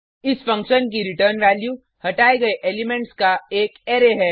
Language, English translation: Hindi, The return value of this function is an Array of removed elements